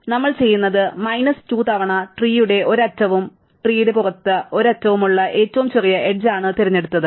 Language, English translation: Malayalam, So, what we do is, n minus 2 times, we choose the smallest edge which has one end point in the tree and one end point outside the tree